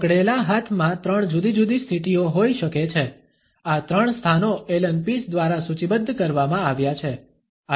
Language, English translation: Gujarati, The clenched hands may have three different positions these three positions have been listed by Allen Pease